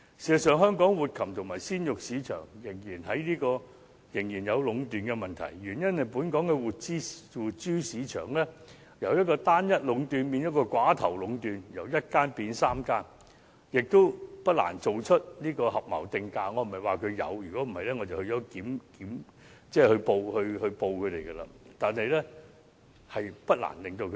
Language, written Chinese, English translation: Cantonese, 事實上，香港的活禽和鮮肉市場仍然存在壟斷的問題，原因是本港的活豬市場由單一壟斷變成寡頭壟斷，即由1間變3間，不難進行合謀定價，我並非說現時有這樣的情況，否則我會向有關部門舉報。, The reason is that monopoly has become oligopoly in the live pig market in Hong Kong as the number of agents has changed from one to three . Collusive price - fixing is not difficult . I am not claiming that there is such a case now